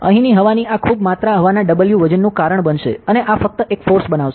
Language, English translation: Gujarati, So, this much volume of air over here will cause a weight of W air and this will create a force only